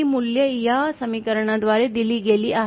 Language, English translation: Marathi, These values are given by this equation